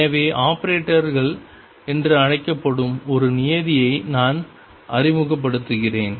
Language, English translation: Tamil, So, I am introducing a term called operator these are known as operators